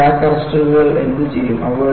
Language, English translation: Malayalam, And what do these crack arresters do